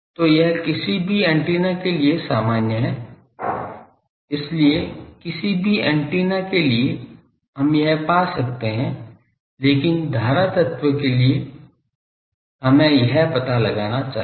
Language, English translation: Hindi, So, this is general for any antenna , so for any antenna we can find that , but for current element let us find out this that